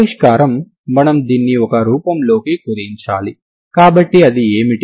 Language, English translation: Telugu, Solution is we have to reduce this into form, so what is that